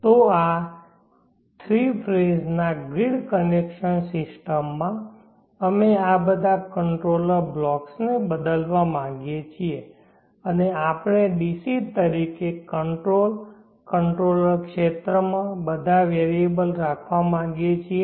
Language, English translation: Gujarati, So this in this 3 phase grid connection system we would like to replace all these control blocks and we would like to have all the variables in the control, controller region as DC